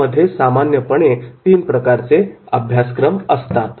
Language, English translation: Marathi, On offer there are three kinds of the courses are normally there